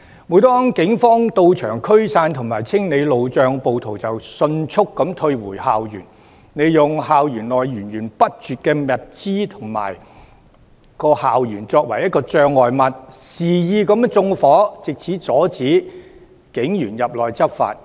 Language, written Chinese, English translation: Cantonese, 每當警方到場驅散及清理路障，暴徒便迅速退回校園，利用校園內源源不絕的物資築成障礙物，肆意縱火，藉此阻止警員入內執法。, Whenever police officers tried to disburse rioters and clear barricades the rioters quickly retreated to the campus and used the abundant supply of materials in the campus to build barricades and wantonly set fire to stop police officers from entering for enforcement actions